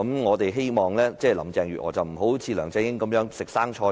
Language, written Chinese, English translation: Cantonese, 我們希望林鄭月娥不會一如梁振英當"食生菜"般。, We hope that Mrs Carrie LAM would not act like LEUNG Chun - ying and make empty pledge